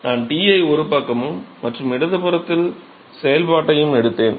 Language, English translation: Tamil, So, all I have done is I have taken T on the other side and the function on the left hand side